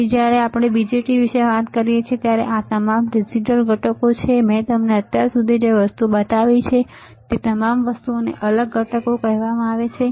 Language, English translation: Gujarati, So, when we talk about BJTs these are all digital components, all the things that I have shown it to you until now are called discrete components, all right